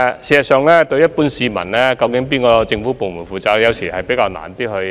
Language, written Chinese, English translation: Cantonese, 事實上，對於一般市民來說，究竟問題由哪個政府部門負責，有時候難以找到答案。, In fact as far as members of the general public are concerned it is sometimes difficult to find out which government department is responsible for the issue